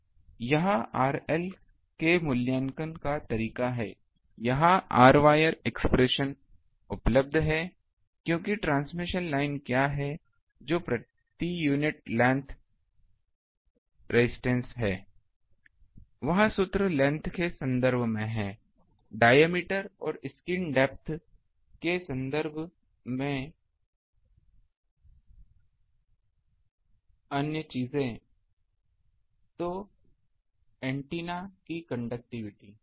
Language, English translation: Hindi, So, this is the way of evaluating R L, this r wire expression is available because transmission line what is a per unit length resistance, that formula is there in terms of the ba length ah wa sorry in terms of the diameter and wa scheme depth another things